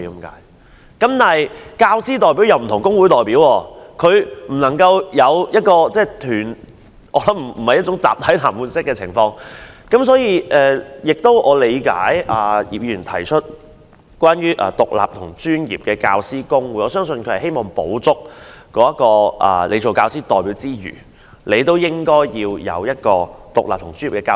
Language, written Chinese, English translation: Cantonese, 但是，教師代表有別於工會代表，他背後並無一個團體給他支援，不會有集體談判的情況，因此我理解葉議員提出要成立獨立及專業的教師公會，希望除教師代表外，亦有一個獨立的專業組織。, However unlike a labour union representative a teacher representative does not have an organization to back him up; neither will there be collective bargaining . Hence I understand why Mr IP proposes to set up an independent and professional General Teaching Council in the hope that other than teacher representatives there will also be an independent profession organization